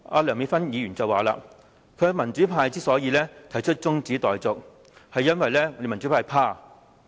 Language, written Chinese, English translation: Cantonese, 梁美芬議員剛才說，民主派提出辯論中止待續議案，是因為民主派害怕。, Dr Priscilla LEUNG has remarked that the pro - democracy camp has proposed this adjournment debate out of fear